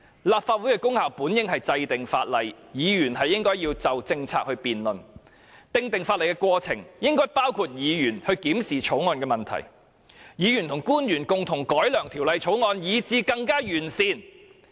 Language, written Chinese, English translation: Cantonese, 立法會的功能本應是制定法例，議員應該要就政策辯論，而訂定法例的過程亦應該包括議員檢視法案的問題，議員和官員共同改良法案，是使之更為完善。, The prime function of the Legislative Council is to enact laws . Members should debate on policies . While the enactment of laws should include a process for Members to examine the issues of a Bill so Members and officials may jointly improve a Bill and make it a more comprehensive one